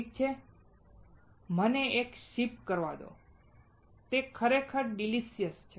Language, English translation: Gujarati, Alright and let me sip it and it is really delicious